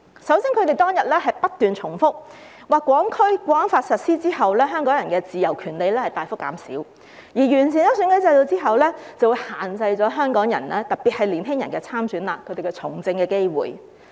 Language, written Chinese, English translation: Cantonese, 首先，他們當天不斷重複，說《香港國安法》實施後，香港人的自由權利大幅減少，而完善選舉制度後，便會限制了香港人，特別是年輕人參選和從政的機會。, First of all they kept repeating on that day that the implementation of the Hong Kong National Security Law had greatly eroded the freedoms and rights of Hong Kong people and that the improvement of the electoral system would restrict the opportunities of Hong Kong people especially young people to run for elections and participate in politics